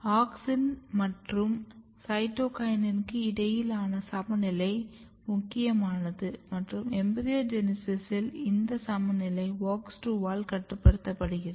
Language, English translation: Tamil, The balance between auxin and cytokinin is important and this balance is embryogenesis is regulated by WOX2 module